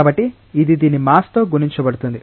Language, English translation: Telugu, So, this multiplied by the mass of this